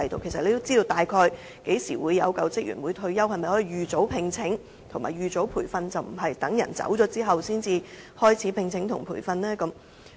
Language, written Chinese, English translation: Cantonese, 其實，署方知道員工大概何時退休，可否提早聘請和培訓，而不是待員工離職後才進行招聘和培訓？, Actually CSD knows roughly when a staff member will retire . Can it conduct a recruitment exercise and training in advance rather than doing so after the departure of an existing staff member?